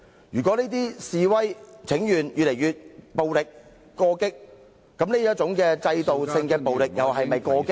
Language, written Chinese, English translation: Cantonese, 如果說現在的示威請願越來越暴力或過激，那麼這種制度性的暴力又是否過激？, If it is said that todays demonstrators and petitioners are becoming increasingly violent or radical may I ask if such institutional violence is radical?